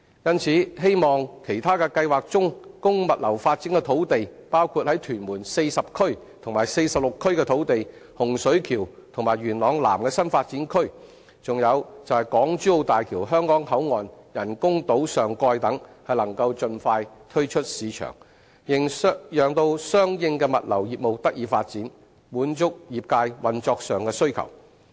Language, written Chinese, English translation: Cantonese, 因此，我希望其他計劃中供物流發展的土地包括在屯門40區及46區的土地、洪水橋，以及元朗南的新發展區，還有港珠澳大橋香港口岸人工島上蓋等能夠盡快推出市場，讓相應的物流業務得以發展，滿足業界運作上的需求。, Thus I hope that other proposed sites for logistics development including land in Tuen Mun Area 40 Tuen Mun Area 46 the New Development Areas in Hung Shui Kiu and Yuen Long South as well as the topside of the boundary crossing facilities island of the Hong Kong - Zhuhai - Macao Bridge can be expeditiously put up in the markets for developing the relevant logistics business to meet the operational needs of the industry